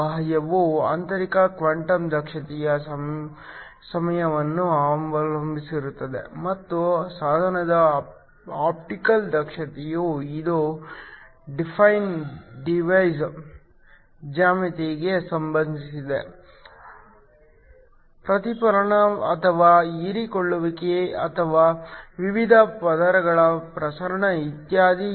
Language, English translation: Kannada, So, η external depends upon the internal quantum efficiency times the optical efficiency of the device this is related to the define device geometry the reflectivity or the absorbance or the transmittance of the various layers and so on